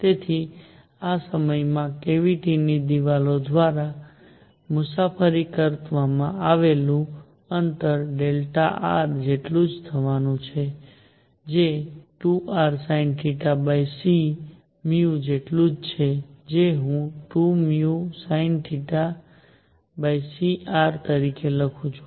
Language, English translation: Gujarati, So, the distance travelled by the cavity walls in this time is going to be equal to delta r which is equal to 2 r sin theta over c times v which is I can write as 2 v sin theta over c times r